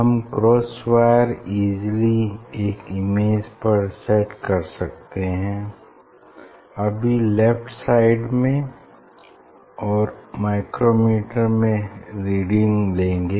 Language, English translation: Hindi, cross wire easily you can save a one image and then or left one and then crosswire take the reading of from micrometer